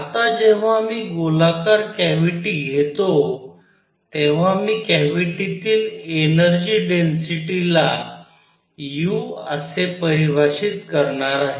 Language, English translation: Marathi, Now when I take a spherical cavity I am going to define something called the energy density u in the cavity